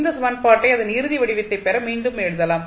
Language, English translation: Tamil, You can put this value again in this equation